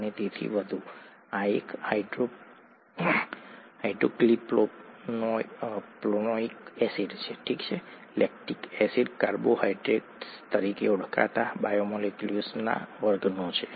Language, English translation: Gujarati, And therefore, this is a hydroxypropanoic acid, lactic acid belongs to a class of biomolecules called carbohydrates